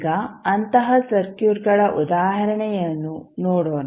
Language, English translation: Kannada, Now, let us see the example of such types of circuits